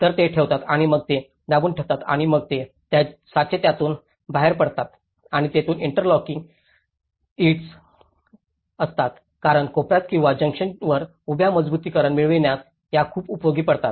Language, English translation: Marathi, So, they keep that and then they press it and then these moulds will come out of it and this is where the interlocking bricks because these are very helpful for having a vertical reinforcement at the corners or the junctions